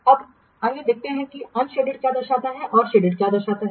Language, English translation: Hindi, Now let's see what the sadded part represents and what the unshaded part represents